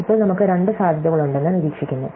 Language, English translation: Malayalam, And now, we observe, that we have two possibilities